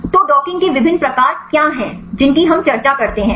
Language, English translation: Hindi, So, what are the different types of docking that we discuss